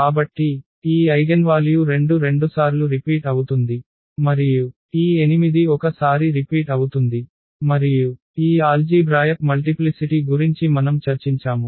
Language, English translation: Telugu, So, this eigenvalue 2 is repeated 2 times and this 8 is repeated 1 times, and exactly that is what we have discussed about this algebraic multiplicity